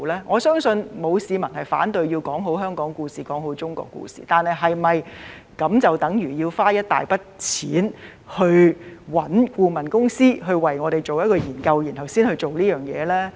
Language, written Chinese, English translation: Cantonese, 我相信沒有市民反對要說好香港故事、說好中國故事，但是否就等如值得花一大筆錢委聘顧問公司為我們先做研究，然後才做這事呢？, I believe that no one will oppose the efforts to tell the Hong Kong story and the China story well but is it good value for money to spend such a huge amount of money engaging a consultant to make a study before we do our work?